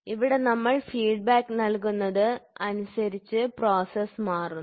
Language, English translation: Malayalam, So, here what we do is we give the feedback the process gets changed